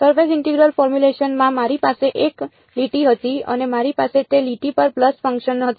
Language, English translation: Gujarati, In the surface integral formulation I had a line and I had pulse functions on that line